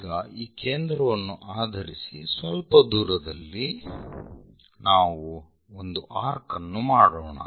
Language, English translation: Kannada, Now, based on this centre somewhere distance we just make an arc we have to bisect it